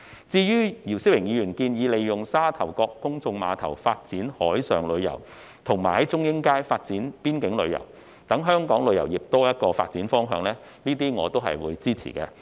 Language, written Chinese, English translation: Cantonese, 至於姚思榮議員建議利用沙頭角公眾碼頭發展海上旅遊，以及在中英街發展邊境旅遊，讓香港旅遊業有多一個發展方向，我對此表示支持。, Mr YIU Si - wing suggests making use of the Sha Tau Kok Public Pier to develop marine tourism and Chung Ying Street to develop boundary tourism . This will give Hong Kongs tourism industry another development direction and I express support for this suggestion